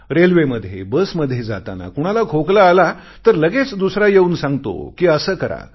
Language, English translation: Marathi, While travelling in the train or the bus if someone coughs, the next person immediately advises a cure